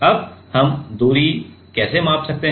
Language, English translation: Hindi, Now, how we can measure the distance